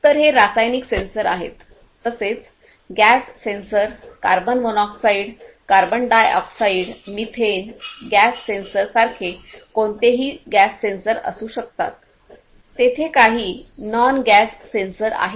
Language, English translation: Marathi, So, these are the chemical sensors likewise gas sensors could be any of the gas sensors like carbon monoxide, carbon dioxide, methane, gas sensor; there is those nox gas sensors and so on